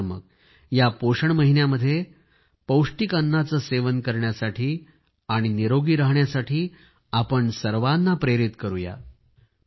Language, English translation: Marathi, Come, let us inspire one and all to eat nutritious food and stay healthy during the nutrition month